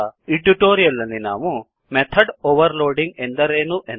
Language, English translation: Kannada, In this tutorial we will learn What is method overloading